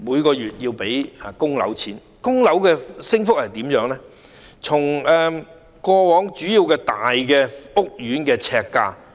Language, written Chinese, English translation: Cantonese, 關於供樓的升幅，我們可以比較主要大型屋苑的呎價。, As regards the growth rate of mortgage expenses we can make a comparison of the prices of major housing estates per square foot